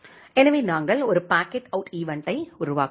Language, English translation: Tamil, So, then we are making a packet out event